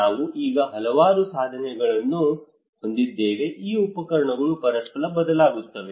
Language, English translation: Kannada, We have so many tools now these tools they vary from each other